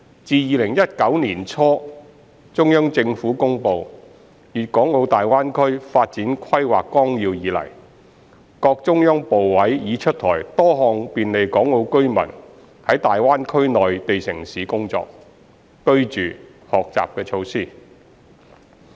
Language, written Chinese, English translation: Cantonese, 自2019年年初中央政府公布《粵港澳大灣區發展規劃綱要》以來，各中央部委已出台多項便利港澳居民在大灣區內地城市工作、居住、學習的措施。, with relevant quotas and licencespermits are eligible to use HZMB . Since the promulgation of the Outline Development Plan for the Guangdong - Hong Kong - Macao Greater Bay Area by the Central Government in early 2019 various Central ministries have rolled out a number of measures to facilitate Hong Kong and Macao residents to work live and study in the Mainland cities of the Greater Bay Area